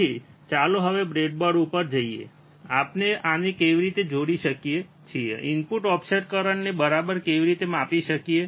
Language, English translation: Gujarati, So, let us see now on the breadboard, how we can connect this and how we can measure the input offset current all right